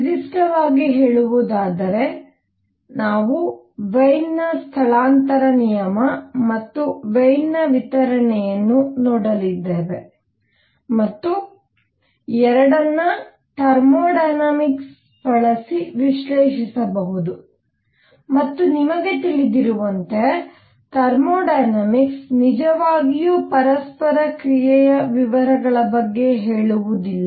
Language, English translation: Kannada, In particular, we are going to look at Wien’s displacement law and Wien’s distribution and both are done using thermodynamics and as you must know, the thermodynamic does not really care about the details of interaction